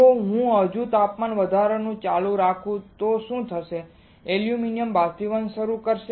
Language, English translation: Gujarati, If I still keep on increasing the temperature then what will happen aluminum will start evaporating